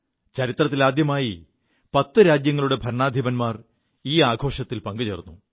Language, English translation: Malayalam, This is the very first time in history that heads of 10 Nations attended the ceremony